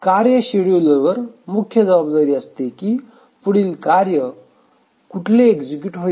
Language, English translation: Marathi, So, it is the task scheduler whose role is to decide which task to be executed next